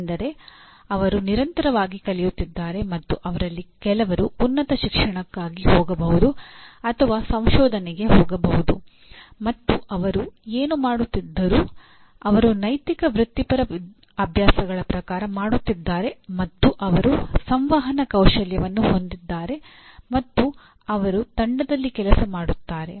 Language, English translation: Kannada, That means they are continuously learning and some of them are likely to go for higher education or go into research as well and whatever they are doing they are doing as per ethical professional practices and they do have communication skills and they are team players